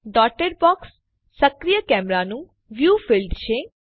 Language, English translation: Gujarati, The dotted box is the field of view of the active camera